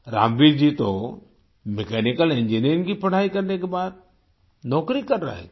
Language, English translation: Hindi, Ramveer ji was doing a job after completing his mechanical engineering